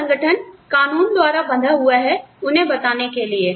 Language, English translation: Hindi, And, the organization can, is bound by law, to tell them